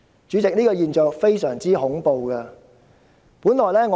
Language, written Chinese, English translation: Cantonese, 主席，這個現象非常恐怖。, President this is a very terrible phenomenon